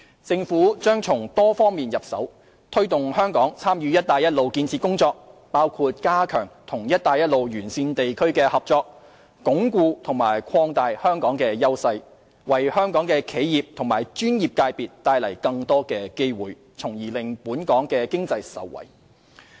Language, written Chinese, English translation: Cantonese, 政府將從多方面入手，推動香港參與"一帶一路"建設工作，包括加強與"一帶一路"沿線地區的合作，以鞏固和擴大香港的優勢，為香港的企業及專業界別帶來更多的機會，從而令本港經濟受惠。, The Government will adopt a multi - pronged approach in facilitating Hong Kongs participation in the Belt and Road Initiative which includes reinforcing our cooperation with regions along the Belt and Road to consolidate and expand Hong Kongs competitive edge to bring in more opportunities for enterprises and professional sectors of Hong Kong thereby benefiting the economy of Hong Kong